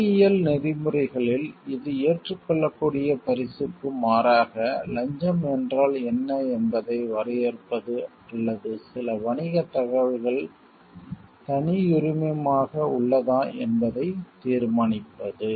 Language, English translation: Tamil, In engineering ethics this might mean defining what constitutes a bribe as opposed to acceptable gift, or determining whether certain business information is proprietary